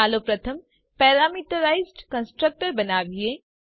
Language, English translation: Gujarati, Let us first create a parameterized constructor